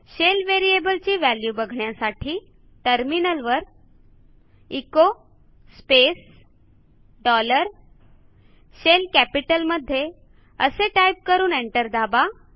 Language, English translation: Marathi, To see what is the value of the SHELL variable, type at the terminal echo space dollar S H E L L in capital and press enter